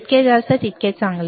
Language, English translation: Marathi, Higher the better